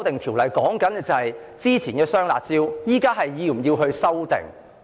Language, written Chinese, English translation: Cantonese, 《條例草案》關乎之前的"雙辣招"現時是否需要修訂。, The Bill is concerned with whether the double curbs measures implemented previously need to be modified at present